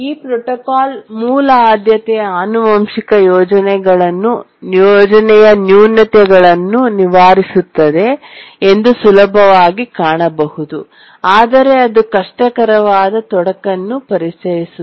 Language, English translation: Kannada, We can easily see that this protocol overcomes the shortcomings of the basic priority inheritance scheme, but then it introduces a very difficult complication